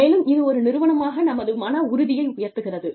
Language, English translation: Tamil, And, that boosts up our morale, as an organization